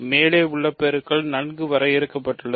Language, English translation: Tamil, So, multiplication above is well defined